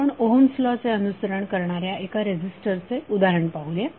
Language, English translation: Marathi, Let us take the example for 1 resistor it is following Ohm’s law